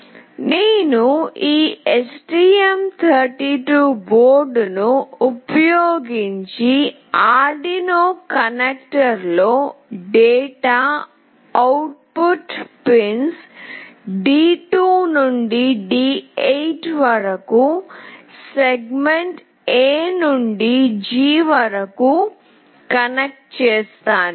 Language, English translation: Telugu, And I will be connecting this from segment A to G of the data output pins D2 to D8 on the Arduino connector using this STM board